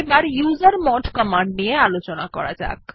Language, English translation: Bengali, Let us learn about the usermod command